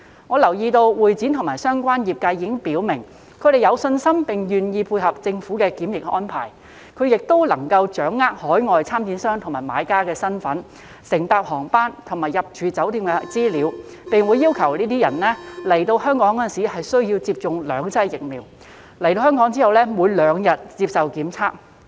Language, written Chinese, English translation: Cantonese, 我留意到會展及相關業界已表明，他們有信心並願意配合政府的檢疫安排，而且他們亦能夠掌握海外參展商和買家的身份、乘搭航班和入住酒店的資料，並會要求有關人士來港前需要接種兩劑疫苗，以及抵港後每兩天接受檢測。, I noticed that MICE and related industries have indicated that they have the confidence and are willing to provide support for the Governments quarantine arrangements and that they have the information on the identities of overseas exhibitors and buyers as well as their flights and hotels and will require the participants to receive two doses of the vaccine before coming to Hong Kong and to be tested every two days after their arrival